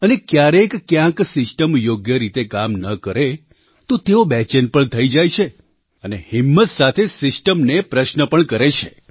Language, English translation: Gujarati, And in the event of the system not responding properly, they get restless and even courageously question the system itself